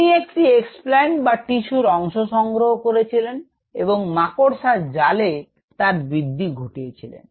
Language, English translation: Bengali, He took a explants or part of the tissue and grew it on a spider net